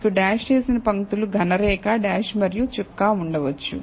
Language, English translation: Telugu, So, you can have dashed lines solid line, dashed and a dot